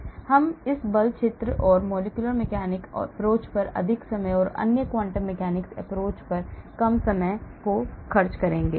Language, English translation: Hindi, so we will spend more time on this force field and molecular mechanics approach and less time on the other quantum mechanics approach,